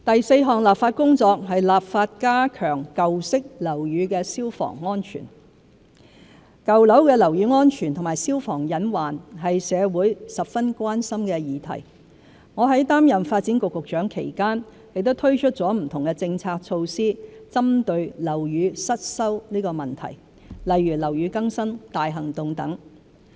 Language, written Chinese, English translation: Cantonese, 四立法加強舊式樓宇消防安全舊樓的樓宇安全和消防隱患是社會十分關心的議題，我在擔任發展局局長期間亦推出不同政策措施針對樓宇失修問題，例如"樓宇更新大行動"等。, 4 Enactment of legislation on enhancing fire safety in old buildings Building safety and fire hazards in old buildings is an issue of great social concern . During my tenure as the Secretary for Development I had implemented various policy measures such as Operation Building Bright to address the problem of dilapidated buildings